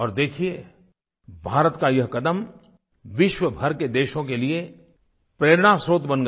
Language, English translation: Hindi, And see how this initiative from India became a big source of motivation for other countries too